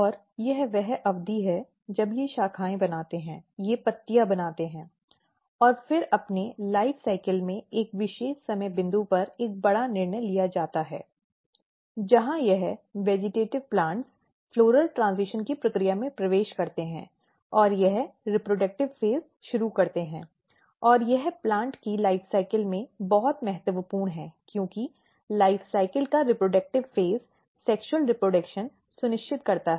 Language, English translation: Hindi, And that is the period when they make branches they make leaves and then at a particular time point in their life cycle a major decision is being taken place; where what happens that this vegetative plants basically enters in the process of called floral transition and it start the reproductive phase; and this is very important in the life cycle of the plant because, reproductive phase of the life cycle ensures the sexual reproduction